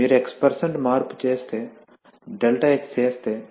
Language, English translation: Telugu, So if you make x% change if you make a ∆x